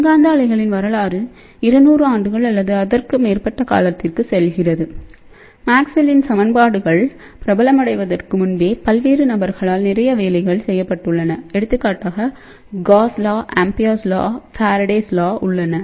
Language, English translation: Tamil, So, history of electromagnetic waves goes back to 200 years or more and ah before ah Maxwell's equations became famous a lot of work had been done by various people for example, Gauss law is there, Ampere's law is there, Faraday's law is there